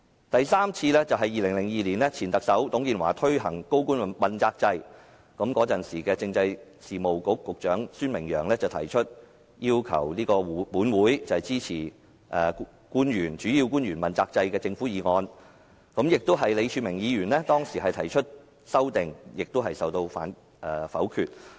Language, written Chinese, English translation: Cantonese, 第三次是在2002年，前特首董建華推行高官問責制，時任政制事務局局長孫明揚提出要求立法會支持主要官員問責制的政府議案，當時李柱銘議員亦曾提出修正案，但同樣遭到否決。, The third occasion was in 2002 when former Chief Executive TUNG Chee - hwa introduced the Accountability System for Principal Officials . The then Secretary for Constitutional Affairs Michael SUEN sought the Legislative Councils support for the Government motion on the Accountability System for Principal Officials . The amendment moved by Mr Martin LEE was also negatived